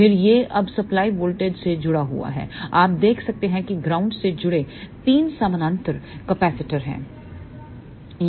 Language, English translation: Hindi, Then this is now connected to the supply voltage, you can see that there are 3 parallel capacitors connected to the ground